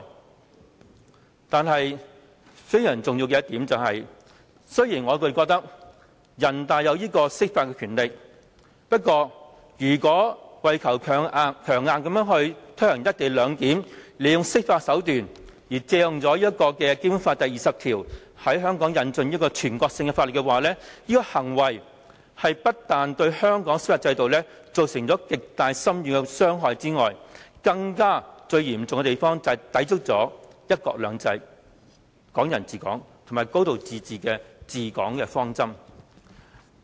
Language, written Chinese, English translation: Cantonese, 我認為非常重要的一點是，雖然人大享有釋法的權力，但如果強硬推行"一地兩檢"，利用釋法手段，借用《基本法》第二十條，在香港引進全國性法律，這種行為除了對香港司法制度造成極大深遠的傷害之外，最嚴重的影響，就是會抵觸"一國兩制"、"港人治港"和"高度自治"的治港方針。, And I think I must make a very important point here . Yes the National Peoples Congress NPC really has the power to interpret the Basic Law but if the Government forcibly pushes its proposal ahead by seeking an interpretation of the Basic Law from NPC and invoking Article 20 of the Basic Law to introduce national laws to Hong Kong Hong Kongs judicial system will sustain profound and long - lasting damage . Not only this the most serious consequence will be the contravention of the fundamental principles for governing Hong Kong one country two systems Hong Kong people ruling Hong Kong and a high degree of autonomy